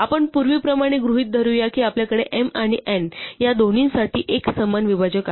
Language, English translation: Marathi, Now, let us assume as before that we have a common divisor for both m and n